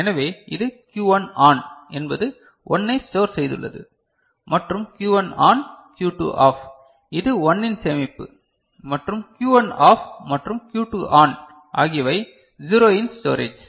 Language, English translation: Tamil, So, this is the Q1 ON is storage of 1, and Q1 ON, Q2 OFF that is storage of 1; and Q1 OFF and Q2 ON is storage of 0